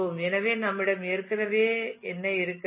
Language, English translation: Tamil, So, what all we already have